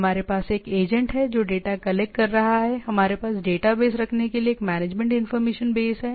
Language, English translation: Hindi, We have agent which is collecting data, we have a management information base to have the database